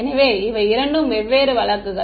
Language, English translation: Tamil, So, these are the two different cases ok